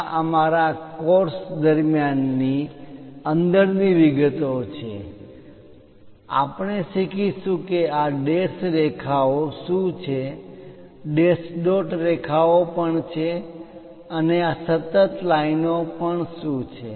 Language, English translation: Gujarati, These are the inside details during our course we will learn about what are these dashed lines and also dash dot lines and what are these continuous lines also